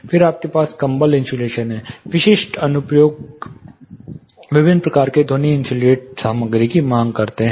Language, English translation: Hindi, Then you have blankets batt insulation, specific applications demand different type of sound insulating materials